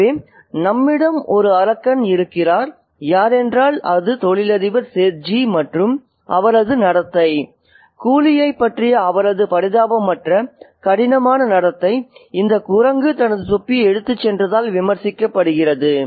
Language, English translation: Tamil, So, we have a demon here who is the businessman, the set G, and his behavior, his unsympathetic, hard behavior towards the coolly is being criticized by this monkey which has taken away his cap